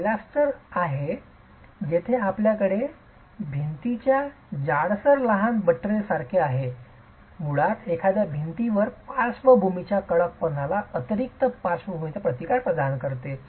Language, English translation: Marathi, A pilaster is where you have a thickening of the wall like a small buttress and is basically meant to provide a, provide additional lateral resistance to a wall, lateral stiffness to a wall